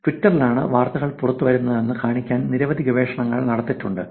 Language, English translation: Malayalam, There is multiple research done to show that Twitter is where news breaks